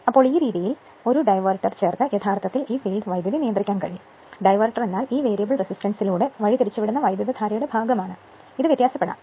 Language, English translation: Malayalam, So, by this way part of your basically, you can control this field current by adding a diverter, diverter means part of the current is diverted through this variable resistance, you can vary this